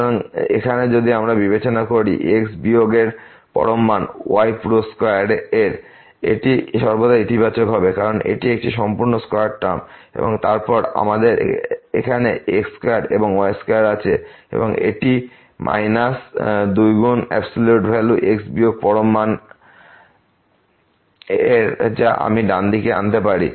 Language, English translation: Bengali, So, here if we consider this absolute value of minus absolute value of whole square, this will be always positive because this is a whole square term and then, we have here square plus square and this will be minus 2 times absolute value of minus absolute value of which I can bring to the right hand side